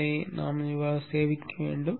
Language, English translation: Tamil, And save that